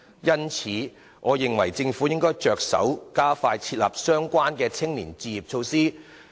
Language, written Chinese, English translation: Cantonese, 因此，我認為政府應着手加快制訂相關的青年置業措施。, Therefore I think the Government should expeditiously formulate measures to help young people buy their own homes